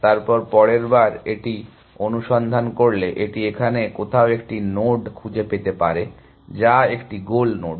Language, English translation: Bengali, Then the next time it searches, it may find a node somewhere here, which is a goal node